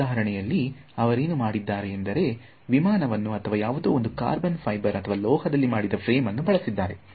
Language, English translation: Kannada, So, in this simple example what they have done is they have taken a aircraft and either made it out of carbon fiber or a metallic frame